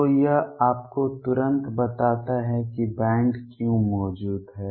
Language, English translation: Hindi, So, this tells you immediately why the bands exist